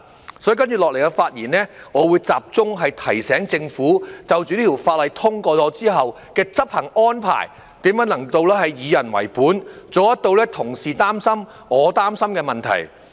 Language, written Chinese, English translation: Cantonese, 因此，在接下來的發言，我會集中提醒政府在《條例草案》通過後的執行安排，如何能做到以人為本，處理同事擔心而我也擔心的問題。, Therefore in my following speech I will focus on advising the Government on how to make the implementation arrangements upon the passage of the Bill more people - oriented so as to address the concerns of colleagues and mine as well